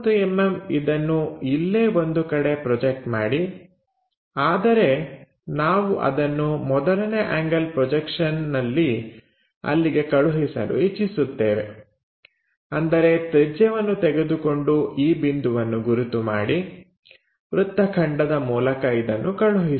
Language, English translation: Kannada, So, 30 mm project somewhere there, but we want to transfer that in the first angle projection; that means, take radius mark this point transfer it by arc